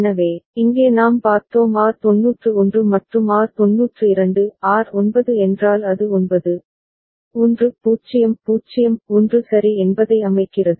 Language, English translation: Tamil, So, here we had seen that when R91 and R92 R9 means it is setting a value 9, 1 0 0 1 ok